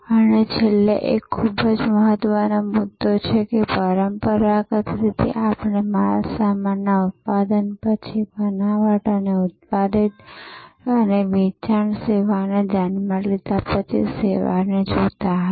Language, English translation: Gujarati, And lastly, a very important point that traditionally we looked at service after the goods were manufactured designed and manufactured and sold service was thought off